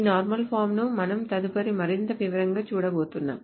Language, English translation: Telugu, So this normal forms are what we will be going over in more detail next